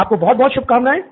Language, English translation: Hindi, Wish you very good luck, okay